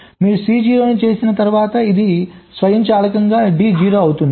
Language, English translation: Telugu, so once you made c zero, thats automatically makes g zero